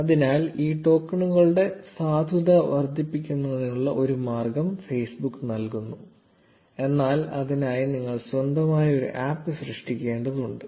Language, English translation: Malayalam, So, Facebook provides a way to extend the validity of these tokens, but for that you need to create an app of your own